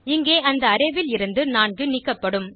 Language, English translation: Tamil, In our case, 4 will be removed from the Array